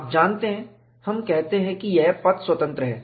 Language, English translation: Hindi, You know, we say that it is path independent